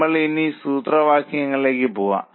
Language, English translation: Malayalam, We will go to formula